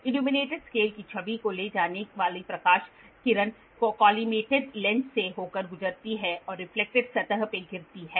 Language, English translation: Hindi, The light beam carrying the image of the illuminated scale passes through the collimated lens and falls into a reflected surface